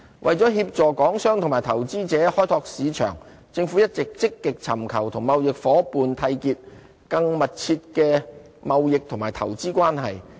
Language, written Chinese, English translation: Cantonese, 為協助港商及投資者開拓市場，政府一直積極尋求與貿易夥伴締結更密切的貿易及投資關係。, To facilitate Hong Kong enterprises and investors to explore new markets the Government has been working actively to establish closer trade and investment connections with our trade counterparts